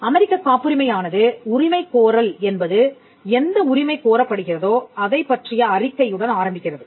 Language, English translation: Tamil, The claim in a US patent begins with the statement what is claimed is